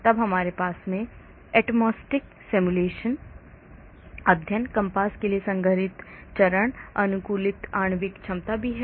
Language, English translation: Hindi, Then we also have condensed phase optimized molecular potentials for atomistic simulation studies, COMPASS